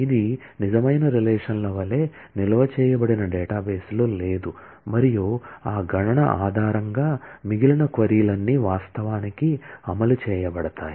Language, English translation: Telugu, It is not existing in the database as stored like the real relations and based on that computation, all the rest of the query will actually be executed